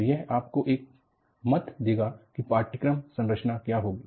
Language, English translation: Hindi, So, this will give you an idea, what will be the course structure